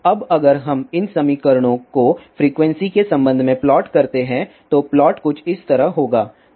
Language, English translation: Hindi, Now if we plot these equations with the respect to frequency, then the plot will be something like this